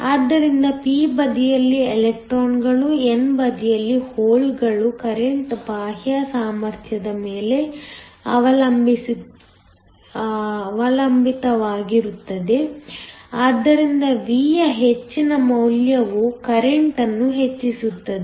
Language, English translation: Kannada, So electrons on the p side, holes on the n side, the current depends upon the external potential, so higher the value of V higher the current